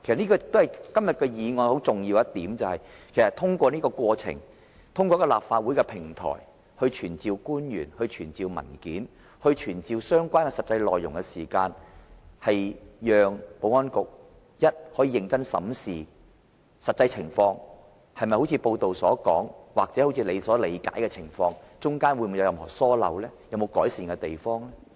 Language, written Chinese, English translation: Cantonese, 今天的議案很重要的一點，其實是通過這個過程，通過立法會的平台傳召官員，要求出示文件，披露相關的實際內容時，首先讓保安局，可以認真審視實際情況，究竟情況是如報道所說還是一如其所理解那樣，當中有否任何疏漏和須改善的地方？, An important aspect of the motion today is that in the process where the Legislative Council summons public officers and demands for the production of documents and disclosure of the actual content concerned first of all the Security Bureau is allowed to scrutinize carefully the actual situation determine if it agrees with content of the report or with the Bureaus own understanding and then check for negligence or room for improvement